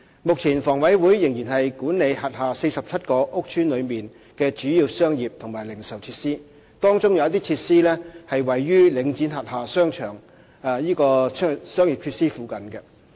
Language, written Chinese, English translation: Cantonese, 目前，房委會仍然管理轄下47個屋邨內的主要商業及零售設施，當中有些設施位於領展轄下的商業設施附近。, Currently HA is still managing the major commercial and retail facilities in its 47 housing estates and some of these facilities are situated in the vicinity of the commercial facilities under Link REIT